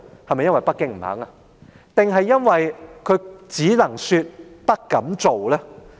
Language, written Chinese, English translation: Cantonese, 是否因為北京不願意，還是因為她只能說、不敢做呢？, Is it because Beijing is unwilling to see it or she does not have the courage to put her words into actions?